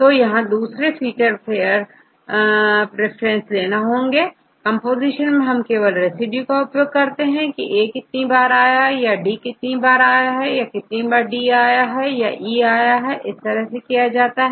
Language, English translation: Hindi, So, now the another features there is pair preference, in the composition we use only one residue and see how many times A how many times D how many times D E all these things